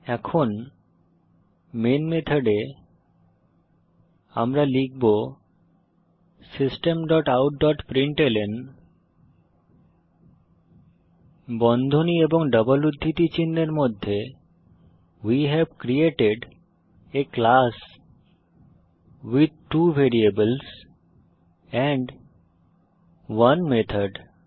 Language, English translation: Bengali, Now, inside the main method we will type System dot out dot println within brackets and double quotes We have created a class with two variables and 1 method